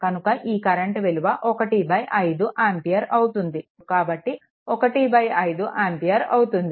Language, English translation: Telugu, So, it will your become 1 by 5 ampere right, that is here it is i 1 is equal to 1 by 5 ampere